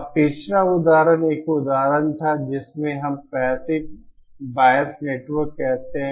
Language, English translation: Hindi, Now the previous example was an example of what we called as passive bias network